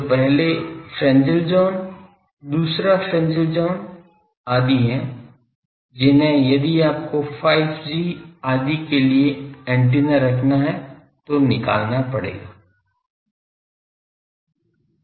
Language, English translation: Hindi, So, there are first Fresnel zone, second Fresnel zone etc that needs to be carried out if you want to have an antenna for that 5G etc